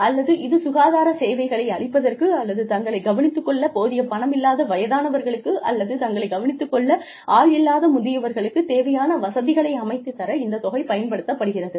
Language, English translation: Tamil, Or, to providing health services, or, living facilities, for the elderly, who do not have money, to take care of themselves, or, who do not have people, to take care of themselves